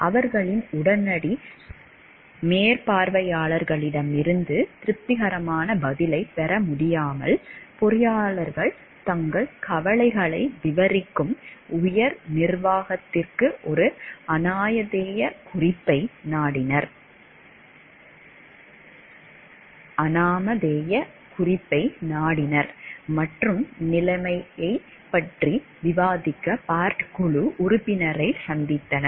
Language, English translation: Tamil, Unable to get satisfactory response from their immediate supervisors, the engineers resorted to an anonymous memo to upper management detailing their concerns, and even met with a Bart board member to discuss the situation